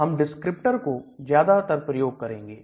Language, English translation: Hindi, We also call descriptors